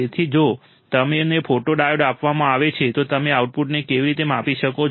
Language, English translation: Gujarati, So, if you are given a photodiode, how can you measure the output